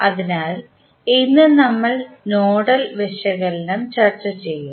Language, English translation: Malayalam, So, today we will discuss about the Nodal Analysis